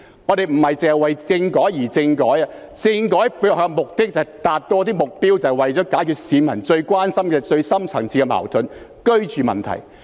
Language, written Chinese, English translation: Cantonese, 我們不只是為政改而政改，政改背後的目的是要達到一些目標，便是要解決市民最關心、最深層次的矛盾——居住問題。, The underlying purpose of the constitutional reform is to achieve some objectives and put it more precisely to resolve what is most concerning to the public and the most deep - rooted conflict―the housing problem